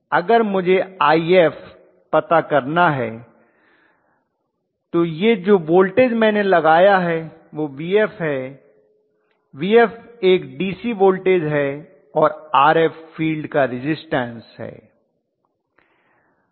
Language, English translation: Hindi, If I have to calculate IF I have to say it is Vf whatever I am applying, Vf is a DC voltage Vf is a DC voltage and Rf which is the field resistance